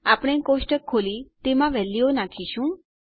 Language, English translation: Gujarati, We are going to open up our table and input our values